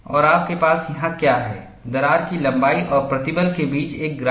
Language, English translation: Hindi, And what you have here is a graph between crack length and stress